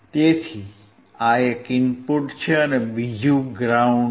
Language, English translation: Gujarati, So, one is input another one is ground